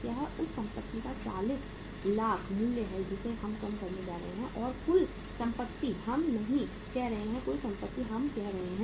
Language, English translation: Hindi, That is 40 lakhs worth of the assets we are going to reduce and the total say assets we are not saying the total asset we are keeping same